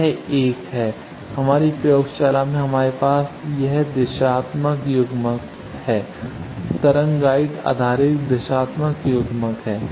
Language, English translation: Hindi, This is the one, in our lab we have this directional coupler this is wave guide based directional coupler